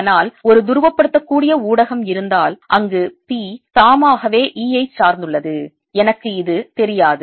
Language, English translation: Tamil, but if there is a polarizable medium where p itself depends on e, i do not know this